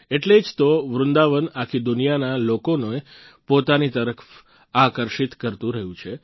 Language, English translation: Gujarati, That is exactly why Vrindavan has been attracting people from all over the world